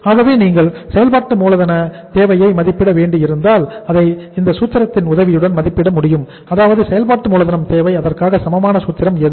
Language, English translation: Tamil, So if you have to say assess the working capital requirement so working capital requirement can be assessed with the help of this formula say working capital requirement is equal to what is the formula here